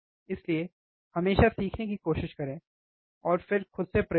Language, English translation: Hindi, So, always try to learn, and then perform the experiments by yourself